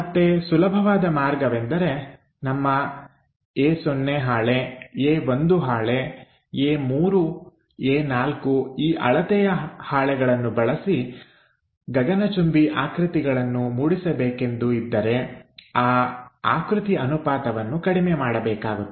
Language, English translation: Kannada, So, the easiest way is using our A naught sheet A 1 sheet A 3 A 4 this kind of sheets we would like to represent a skyscraper then naturally we have to scale it down